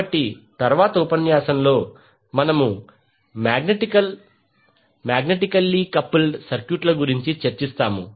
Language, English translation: Telugu, So in the next lecture we will discuss about the magnetically coupled circuits